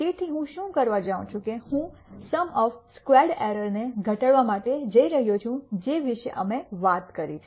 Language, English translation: Gujarati, So, what I am going to do is I am going to minimize a sum of squared error is something that we talked about